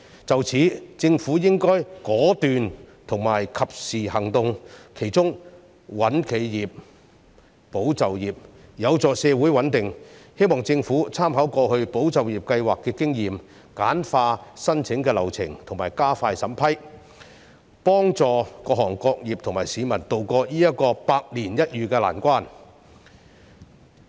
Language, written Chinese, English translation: Cantonese, 就此，政府應該果斷及時行動，其中"穩企業，保就業"便有助社會穩定，我希望政府參考過去"保就業"計劃的經驗，簡化申請流程及加快審批，協助各行各業和市民渡過這個百年一遇的難關。, In this connection the Government should take decisive and prompt actions including actions to sustain enterprises and safeguard jobs which is conducive to social stability . I hope the Government will draw reference from the previous tranches of ESS to streamline the application procedures and speed up the vetting and approval process thereby helping various trades and industries to tie over this once - in - a - century difficult time